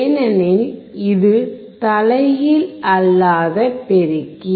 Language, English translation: Tamil, Because this is non inverting amplifier